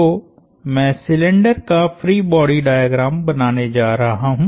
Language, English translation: Hindi, So, I am going to draw the free body diagram of the cylinder